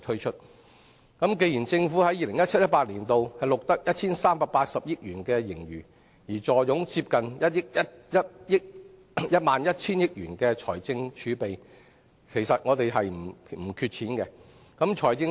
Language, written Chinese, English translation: Cantonese, 政府在 2017-2018 年度錄得 1,380 億元盈餘，並坐擁接近1萬 1,000 億元財政儲備，其實政府庫房十分充裕。, The Government has recorded a surplus of 138 billion and fiscal reserves of nearly 1,100 billion in 2017 - 2018 . In fact the Government is in a very robust financial position